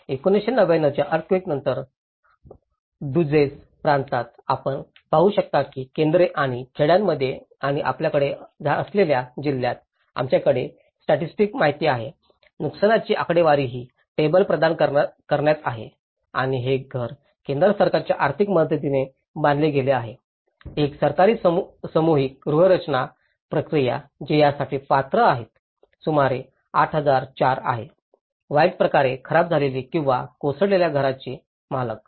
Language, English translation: Marathi, In Duzce province after the 1999 earthquake, you can see that in the centres and villages and the district we have the statistical you know, the damage statistics is in providing this table and the house is constructed through the central government financial support, one is the government mass housing process which is about 8004 who is qualified for this; owner of badly damaged or a collapsed house